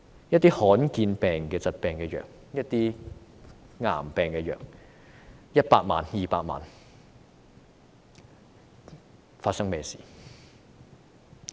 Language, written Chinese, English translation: Cantonese, 一些罕見疾病和癌病的藥物 ，100 萬元、200萬元......, Some drugs for rare diseases and cancers cost 1 million 2 million What is going wrong?